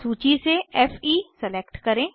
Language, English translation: Hindi, Select Fe from the list